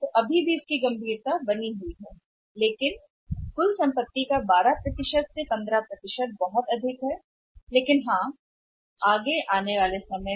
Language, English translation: Hindi, So, still the magnitude is very high but still 12 to15% of the total assets is very high but yes it is coming down over a period of time